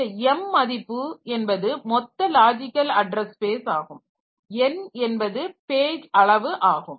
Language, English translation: Tamil, So, m is the address that is total number of a logical address space and n is the page size